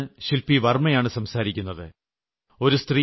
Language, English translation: Malayalam, "Pradhan Mantri Ji, I am Shilpi Varma speaking from Bengaluru